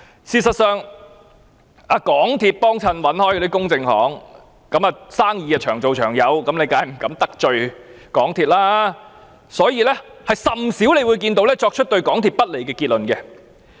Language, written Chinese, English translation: Cantonese, 事實上，那些一貫由港鐵公司聘用的公證行，生意長做長有，當然不敢得罪港鐵公司，所以甚少見到它們作出對港鐵公司不利的結論。, In fact to those notaries long engaged by MTRCL for the sake of continuous business opportunities they certainly dare not offend MTRCL and therefore seldom had they come to conclusions that were unfavourable to MTRCL